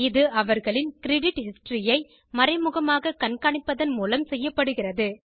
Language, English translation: Tamil, This is done by indirectly tracking their credit history